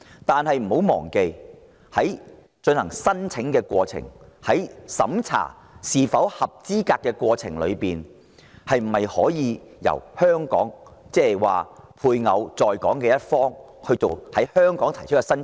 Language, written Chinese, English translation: Cantonese, 但不要忘記，在提出申請及審查申請人資格方面，可否由香港作主導，例如由在港一方的家屬在香港提出申請？, But let us not forget that in terms of lodging applications and vetting the qualification of applicants can Hong Kong take the initiative such as having applications lodged in Hong Kong by the Hong Kong family members of the applicants?